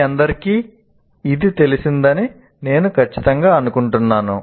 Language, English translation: Telugu, And I'm sure all of you are familiar with